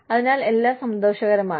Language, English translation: Malayalam, So, it is all pleasure